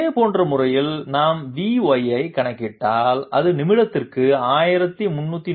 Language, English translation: Tamil, In a similar manner, if we compute V y, it will come out to be 1341